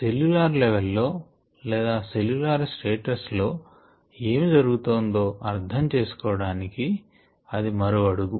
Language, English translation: Telugu, so that is one more step towards understanding what is happening at a cellular status, cellular level